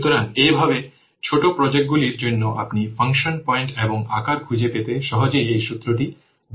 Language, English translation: Bengali, So in this way for small projects you can easily use this formula, find out the function points and size